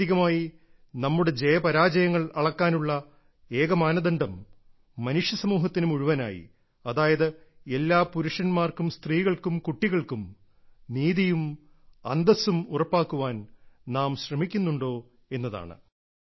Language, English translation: Malayalam, Ultimately, the only criterion to measure our successes and failures is whether we strive to assure justice and dignity to the entire humanity, virtually every man, woman and child